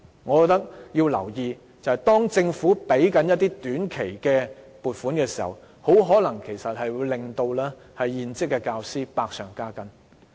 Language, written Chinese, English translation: Cantonese, 我覺得要留意的是，當政府批出短期撥款時，會令現職教師的工作百上加斤。, I think the Government should pay attention that such short - term funding will further increase the heavy workload of teachers